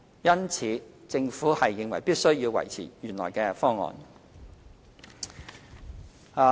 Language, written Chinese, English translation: Cantonese, 因此，政府認為必須要維持原來的方案。, Hence the Government considers it necessary to maintain the original proposal